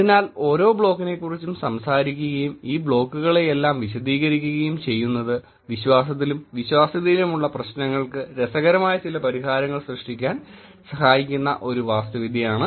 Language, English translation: Malayalam, So, this is an architecture that I tell in detail talking about each block and explaining all this block helps in creating some interesting solutions for the problems in the trust and credibility space